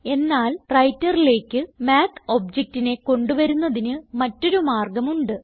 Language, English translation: Malayalam, But there is another way to bring up the Math object into the Writer